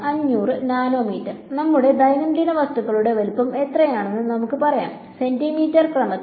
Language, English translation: Malayalam, 500 nanometers, let us say what is the size of our day to day objects; on the order of centimeters meters right